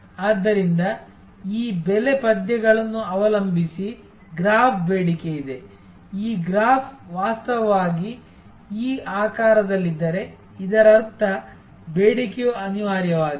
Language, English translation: Kannada, So, depending on this price verses demand graph, if this graph is actually of this shape this is means that it is the demand is inelastic